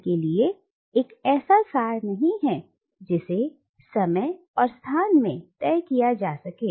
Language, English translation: Hindi, For him it is not an essence that can be fixed in time and space